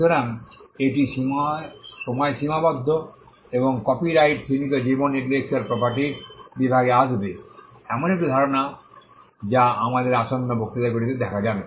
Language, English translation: Bengali, So, it is the time bound right and copyright will fall within the category of limited life intellectual property, a concept which will be seen in our forthcoming lectures